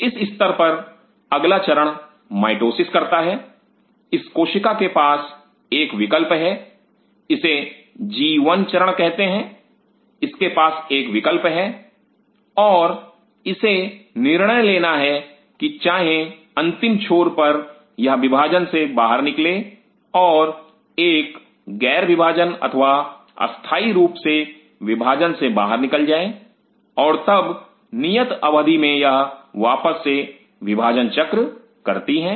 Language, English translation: Hindi, At this stage next stage pose mitosis this cell has a choice this is called the gas phase G 1 phase it has a choice and it is a decision to make whether it is going to terminally go out of dividing and it becomes non dividing or non dividing or it temporarily goes out of division and then in due course it again comes back to do the division cycle